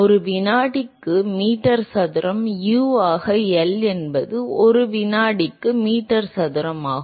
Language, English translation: Tamil, Meter square per second U into L is meter square per second